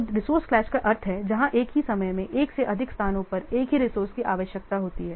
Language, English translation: Hindi, So, resource class is where same resource is needed in more than one place at a time